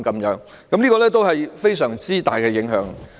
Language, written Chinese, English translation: Cantonese, 這造成非常大的影響。, This has produced tremendous impacts